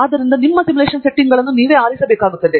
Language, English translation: Kannada, So, you have to choose your simulation settings